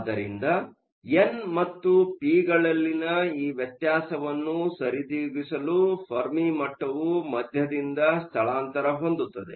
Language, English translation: Kannada, So, in order to compensate for this difference in n and p, the Fermi level will also shift from the middle